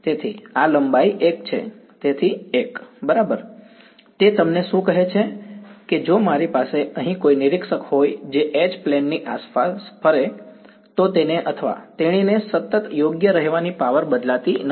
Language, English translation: Gujarati, So, this length is 1 so 1 right, what is it telling you that if I had an observer over here who went around the H plane, what would he or she find the power to be constant right not changing